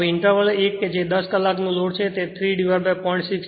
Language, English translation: Gujarati, Now interval one that is 10 hours load is 3 by 0